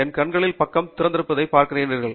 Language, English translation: Tamil, As you see that the side of my eyes are open